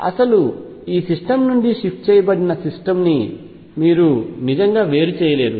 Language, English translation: Telugu, You cannot really distinguish the shifted system from the original system right